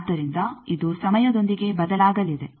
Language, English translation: Kannada, So, it will be changing with time